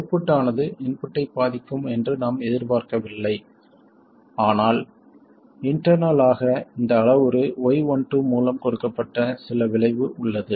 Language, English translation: Tamil, We don't expect the output to affect the input but internally there is some effect that is given by this parameter Y1 2